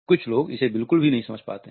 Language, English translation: Hindi, Some people can miss it altogether